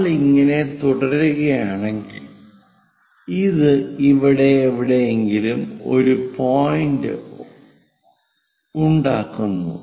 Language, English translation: Malayalam, If we continue, it goes and makes a point somewhere here